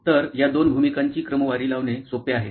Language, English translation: Marathi, So, it is easier to sort of do these two roles